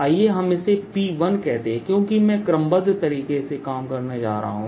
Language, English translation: Hindi, lets call this p one, because i am going to go step by step